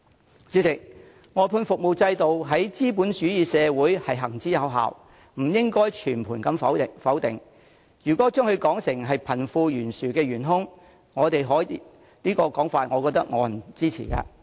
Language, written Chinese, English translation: Cantonese, 代理主席，外判服務制度在資本主義社會行之有效，不應被全盤否定，如果把它說成是導致貧富懸殊的元兇，我認為沒有人會支持這種說法。, Deputy President the service outsourcing system has been proven in capitalist societies and it should not be discredited completely . If we describe it as the culprit causing the disparity between the rich and the poor I believe no one will agree with such a claim